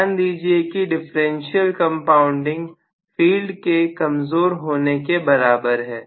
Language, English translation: Hindi, Please note that differential compounding is equivalent to having field weakening